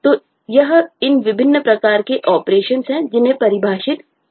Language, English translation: Hindi, so this is, these are the kind of different operations which are defined